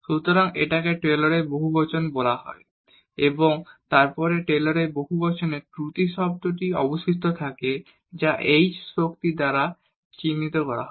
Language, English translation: Bengali, So, this is this is called the Taylor’s polynomial and then this is the remainder the error term in this Taylor’s polynomial which is denoted by the h power